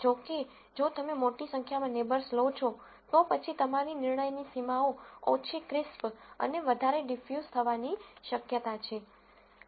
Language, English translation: Gujarati, However, if you take large number of neighbors, then your decision boundaries are likely to become less crisp and more di use